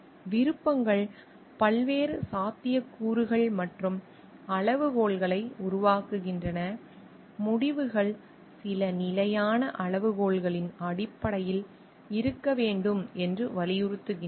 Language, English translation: Tamil, Options generate a variety of possibilities and criteria, insist that results be based on some standard criteria